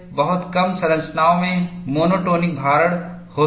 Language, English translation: Hindi, Very few structures have monotonic loading